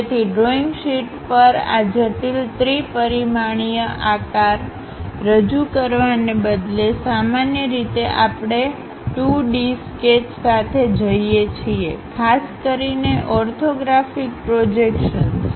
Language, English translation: Gujarati, So, on drawing sheet, instead of representing these complex three dimensional shapes; usually we go with 2 D sketches, especially the projections, orthographic projections